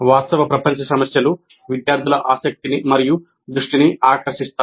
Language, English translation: Telugu, The real old problems capture students' interest and attention